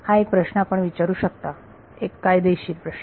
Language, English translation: Marathi, That one question you can ask, a legitimate question